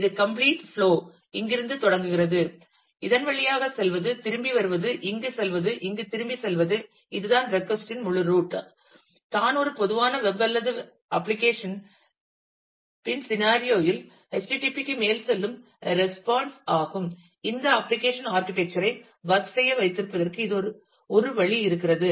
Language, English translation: Tamil, So, this is a complete flow of starting from here, going through this, coming back, going here, going back here, is the is the whole route of the request, response that goes over the HTTP in a typical web or application scenario, that is the there is a way this application architecture is expected to work